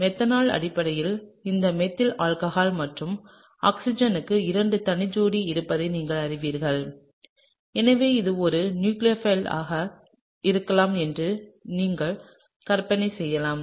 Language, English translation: Tamil, So, methanol is basically this methyl alcohol and as you know the oxygen has couple of lone pairs and so, therefore, you can imagine that this could be a nucleophile, alright